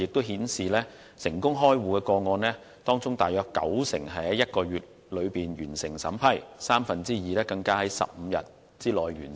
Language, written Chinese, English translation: Cantonese, 現時成功開戶個案當中大約九成是在1個月內完成審批，三分之二更是在15天內完成。, For the successful cases 90 % have their scrutiny completed within one month and two - thirds within 15 days